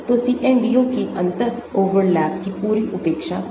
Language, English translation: Hindi, so CNDO that is complete neglect of differential overlap